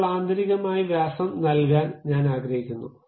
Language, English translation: Malayalam, Now, I would like to give internally the diameter